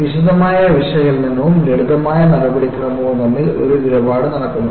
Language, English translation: Malayalam, So, that, there is a tradeoff between detailed analysis and a simplified procedure